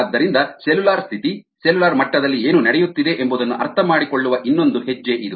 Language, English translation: Kannada, so that is one more step towards understanding what is happening at a cellular status, cellular level